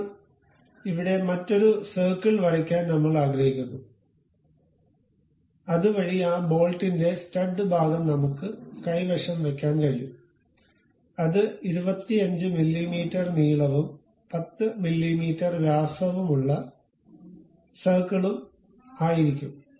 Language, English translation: Malayalam, Now, here we would like to draw another circle, so that the stud portion of that bolt we can have it, which will be 25 mm in length and a circle of 10 mm diameter